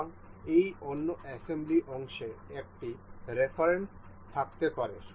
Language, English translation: Bengali, So, that this other assembly part may have a reference